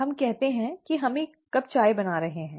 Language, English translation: Hindi, Let us say that we are making cup of tea